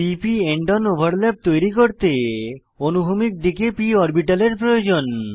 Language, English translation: Bengali, To form p p end on overlap, we need p orbitals in horizontal direction